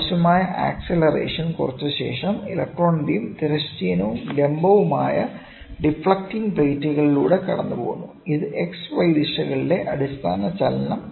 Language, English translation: Malayalam, The electron beam after draining necessary acceleration passes through horizontal and vertical deflecting plates which provide them the basic moment in the X and Y direction